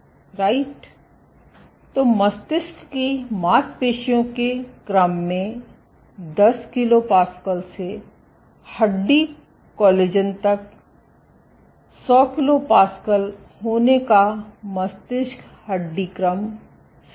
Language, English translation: Hindi, So, brain being 100s of pascals to muscle order 10 kPa to bone collagen is bone order 100 kPa